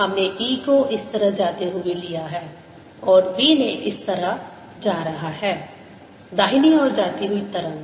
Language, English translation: Hindi, we have taken e going this way and b going this way, wave travelling to the right